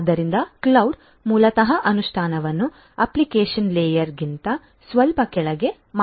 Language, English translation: Kannada, So, cloud basically implementation can be done you know just below the application layer